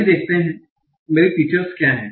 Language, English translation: Hindi, So let us see what are my features